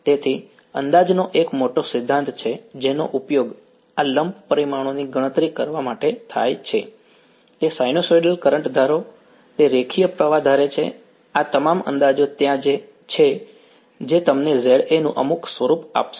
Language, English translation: Gujarati, So, there is a large theory of approximations which are used to calculate this lump parameters, it will assume sinusoidal current, it will assume linear current all of these approximations are there which will give you some form of Za ok